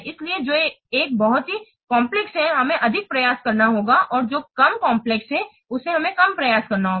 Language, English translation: Hindi, So which one is highly complex, we have to put more effort and which one is less complex, we have to put less effort